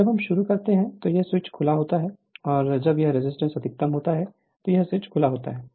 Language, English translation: Hindi, And this switch is open at the when mesh is when we start and this resistance maximum this switch is open